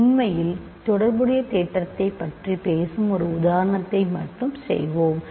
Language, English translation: Tamil, So, actually let us just do one example which talks about correspondence theorem